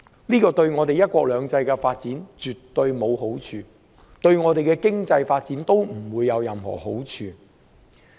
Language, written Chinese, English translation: Cantonese, 這對"一國兩制"的發展，絕對沒有好處；對香港的經濟發展，亦不會有任何好處。, Surely this will not be conducive to the development of one country two systems and the development of Hong Kongs economy